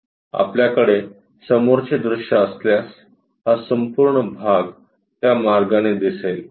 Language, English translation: Marathi, If we are having front view, this entire portion comes out in that way